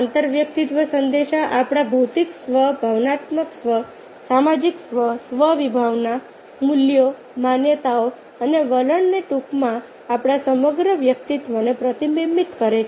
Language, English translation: Gujarati, so intrapersonal messages reflect or physical self, emotional self, social self, self, concept, values, beliefs and attitude, in short, our entire personality